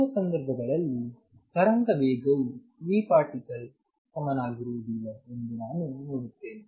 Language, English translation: Kannada, In both the cases I see that the wave speed is not the same as v particle